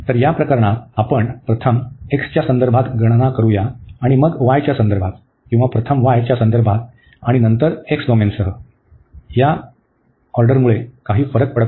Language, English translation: Marathi, So, in this case it does not matter whether we first compute with respect to x and then with respect to y or first with respect to y and then with respect to x for such domain